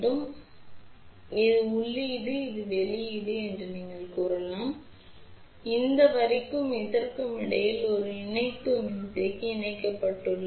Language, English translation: Tamil, So, this is input you can say this is output and there is a coupling capacitor connected between this line and this here